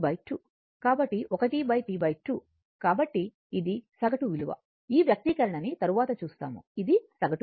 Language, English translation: Telugu, So, 1 upon T by 2, so this is your average value right, later we will see the expression, this is the average value